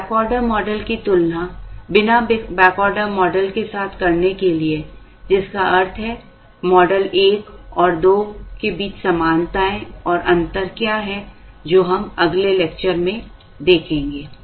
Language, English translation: Hindi, Comparing a model with back ordering to a model without back ordering which means, the similarities and differences between models 1 and 2, we will see in the next lecture